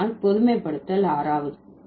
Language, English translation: Tamil, So, that will be the generalization six